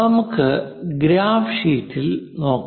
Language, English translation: Malayalam, Let us look at on the graph sheet